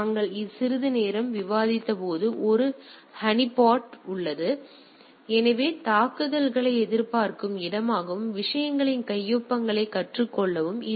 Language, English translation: Tamil, There is a honeypot as we discussed sometime back; so that it is a where you are expecting the attacks and learn the signatures of the things